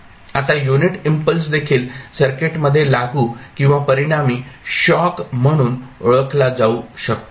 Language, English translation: Marathi, Now, unit impulse can also be regarded as an applied or resulting shock into the circuit